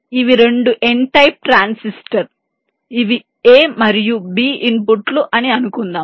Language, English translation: Telugu, these are two n type transistor that say a and b at the inputs